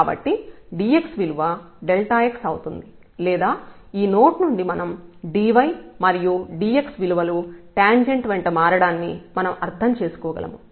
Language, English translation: Telugu, So, the dx will become just the delta x or we can understood from this note that dy and dx we take the notation the measure changes along the tangent line